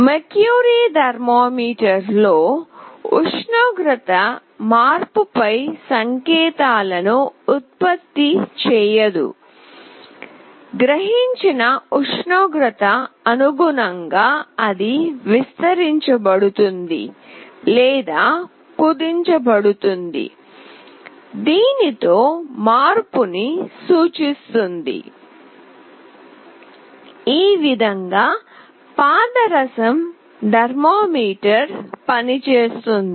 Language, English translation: Telugu, A mercury thermometer does not produce signals on temperature change, instead it changes its property like it can expand or contract this is how a mercury thermometer works